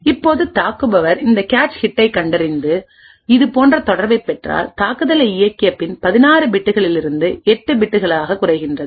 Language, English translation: Tamil, Now after running the attacker if the attacker identifies this cache hit and obtains a relation like this uncertainty reduces from 16 bits to 8 bits